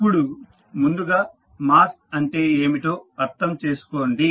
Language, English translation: Telugu, Now, first understand what is mass